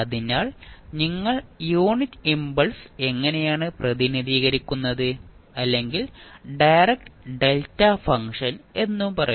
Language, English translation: Malayalam, So, this is how you will represent the unit impulse or you will say direct delta function